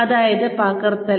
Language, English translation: Malayalam, Which means, copying